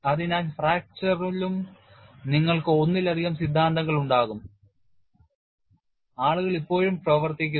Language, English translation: Malayalam, So, in fracture also you will have multiple theories people are still working on